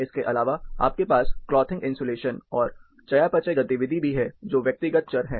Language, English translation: Hindi, Apart from this, you also have the clothing insulation and metabolic activity the personal variables